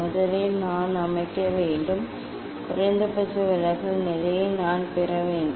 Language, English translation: Tamil, first, I have to set, I have to get minimum deviation position